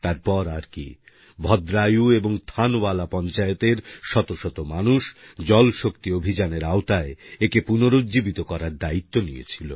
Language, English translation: Bengali, But one fine day, hundreds of people from Bhadraayun & Thanawala Panchayats took a resolve to rejuvenate them, under the Jal Shakti Campaign